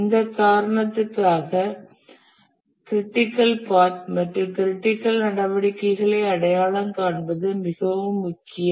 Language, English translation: Tamil, For this reason, it's very important to identify the critical path and the critical activities